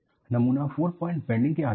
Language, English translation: Hindi, The specimen is subjected to four point bending